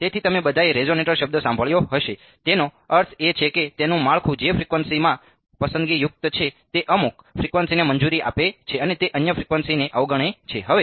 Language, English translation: Gujarati, So, you all have heard the word resonator it means that its a structure which is selective in frequency it allows some frequency and it disregards the other frequencies